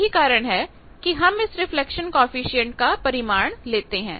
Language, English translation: Hindi, So, that you achieve this synthesized reflection coefficient